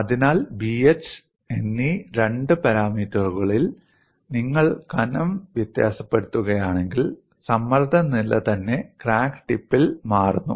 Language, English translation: Malayalam, So, of the two parameters B and h, if you vary the thickness, the stress state itself changes at the crack tip